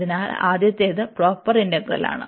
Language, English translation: Malayalam, So, this is a proper integral